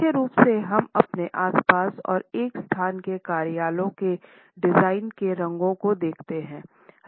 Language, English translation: Hindi, Primarily, we look at colors in our surroundings and in the design of a space, offices space for example